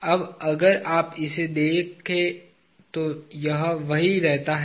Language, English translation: Hindi, Now if you look at it, it remains the same